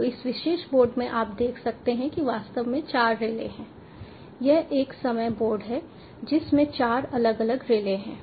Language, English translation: Hindi, so in this particular board you can see there are actually four relays